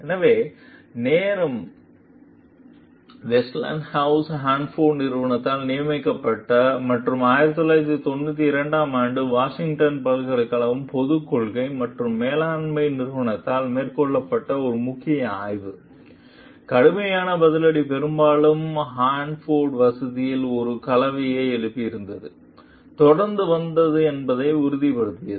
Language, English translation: Tamil, So, what was time was there a landmark study commissioned by Westinghouse Hanford Company and carried out by the University of Washington s institute for Public Policy and Management in 1992 confirmed that severe retaliation had often followed the raising of a concern at the Hanford facility